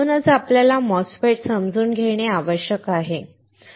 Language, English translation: Marathi, This is why we have to understand MOSFETS